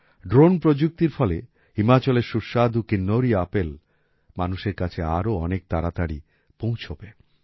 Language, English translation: Bengali, Now with the help of Drone Technology, delicious Kinnauri apples of Himachal will start reaching people more quickly